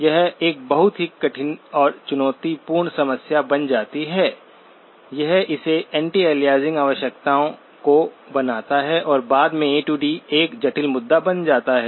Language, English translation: Hindi, So this becomes a very difficult and challenging problem, makes it the anti aliasing requirements and subsequent A to D becomes a complex issue